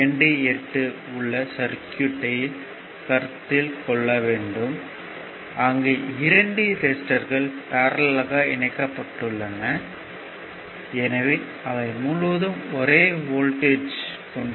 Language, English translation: Tamil, Now, consider this circuit of figure your 28, right; Where 2 resistors are connected in parallel, and hence they have the same voltage across them